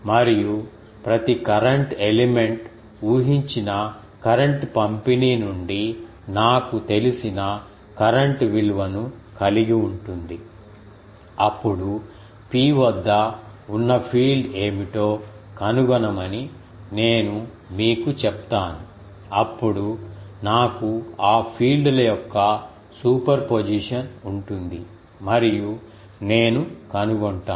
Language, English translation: Telugu, And, each current element will have a current value that I know from the assumed current distribution, then I will be tell you finding the what is the field at P, then I will have a superposition of those fields and I will find out